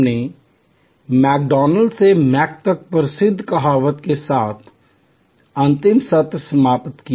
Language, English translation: Hindi, We ended last session with the famous saying from McDonald's to Mc